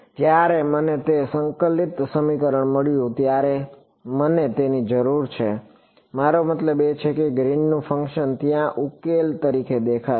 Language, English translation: Gujarati, The moment I got it integral equation I need it I mean Green’s function will appear there as a as a solution ok